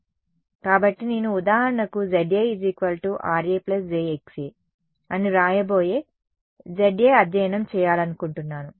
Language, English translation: Telugu, So, I want to study for example, this Za which I am going to write as Ra plus j Xa